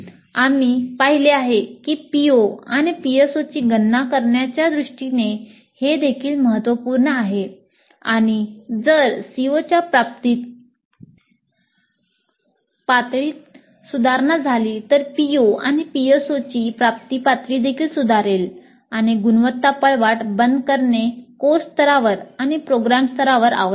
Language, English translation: Marathi, And we have seen that this is also important in terms of computing the POs and PSOs and if there is an improvement in the attainment level of the COs, the attainment levels of the POs and PSOs also will improve and this kind of closer of the quality loop at the course level and at the program level is essential